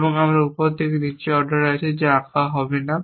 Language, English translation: Bengali, And I have on ordering from top to down which have will not draw